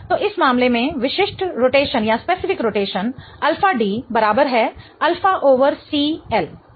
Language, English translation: Hindi, So, in this case, specific rotation alpha D is equal to alpha over C L, right